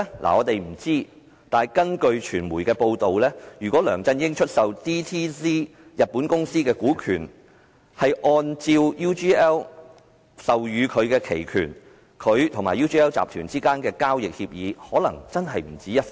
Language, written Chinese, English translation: Cantonese, 我們不知道，但據傳媒報道，如果梁振英出售日本公司 DTZ 的股權，是按照 UGL 授予他的期權，他和 UGL 集團之間的交易協議可能真的不止一份。, We are not sure but according to media reports if LEUNG Chun - ying exercised the put option offered by UGL in the sale of his stake in DTZ Japan Ltd there might be more than one agreement between him and UGL